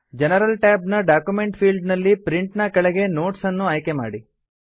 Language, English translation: Kannada, In the General tab, under Print, in the Document field, choose the Notes option